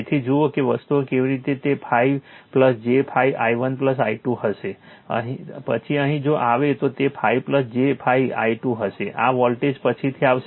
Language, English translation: Gujarati, So, look how things are it will be 5 plus j 5 i 1 plus i 2 right, then here if you will come it will be 5 plus j 5 i 2 right; this voltage will come later